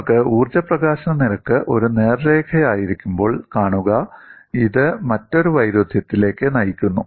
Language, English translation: Malayalam, When you have the energy release rate as a straight line, it leads to another contradiction